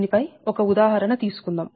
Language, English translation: Telugu, so let us take one example on this